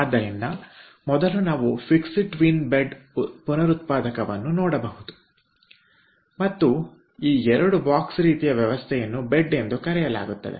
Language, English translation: Kannada, so first we can see fixed twin bed regenerator and in these two box kind of arrangement are called bed